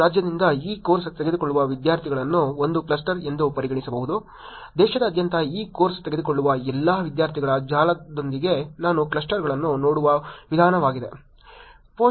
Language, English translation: Kannada, Students taking this course from one state could be treated as a cluster, within the network of all the students taking this course from all around the country, that is the way I have looked at clusters